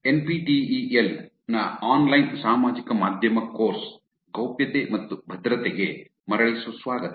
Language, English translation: Kannada, Welcome back to the Privacy and Security in Online Social Media course on NPTEL